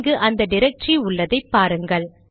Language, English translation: Tamil, See the directory is now present here